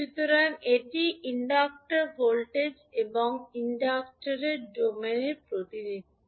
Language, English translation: Bengali, So, this is the time domain representation of inductor voltage and current